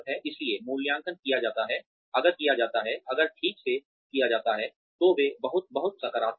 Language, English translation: Hindi, So, appraisals are, if done, if carried out properly, they are very very, positive